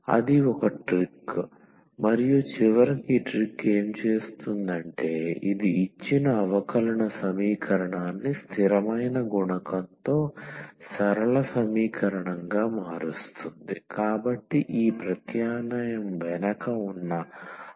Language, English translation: Telugu, That is a trick and what this trick will do finally, it will convert the given differential equation into the linear equation with constant coefficient so, that is the idea behind this substitution